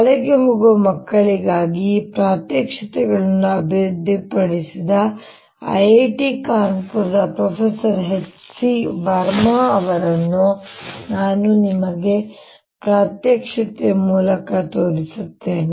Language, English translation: Kannada, i want to acknowledge professor h c verma at i i t kanpur, who has developed these demonstrations for school going kids